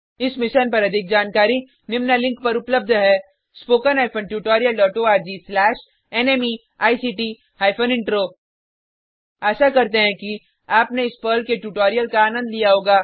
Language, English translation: Hindi, More information on this Mission is available at spoken hyphen tutorial dot org slash NMEICT hyphen Intro Hope you enjoyed this Perl tutorial